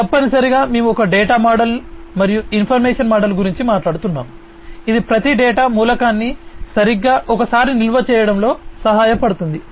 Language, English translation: Telugu, So, essentially we are talking about a data model and information model that will help in storing every data element exactly once